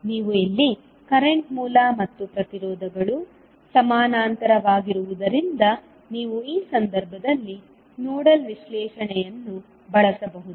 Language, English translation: Kannada, If you see here the current source and the resistances are in parallel so you can use nodal analysis in this case